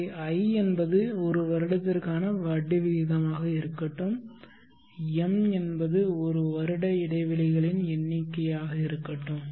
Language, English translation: Tamil, So note the slide difference in the definition, i is the rate of interest for 1 year, whole year and m is the number of intervals that 1 year would be divided into